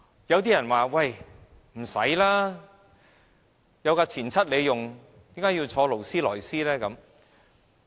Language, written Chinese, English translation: Cantonese, 有些人說有"錢七"使用，為何要坐勞斯萊斯呢？, Someone will say if you already have an old vehicle why you still want to sit on a Rolls Royce?